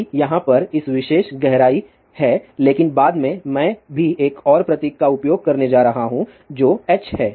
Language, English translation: Hindi, d is this particular depth over here , but later on I am also going to use another symbol which is H